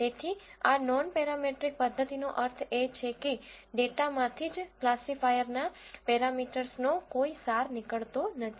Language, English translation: Gujarati, So, what do you mean by this non parametric method is that there is no extraction of the parameters of the classifiers from the data itself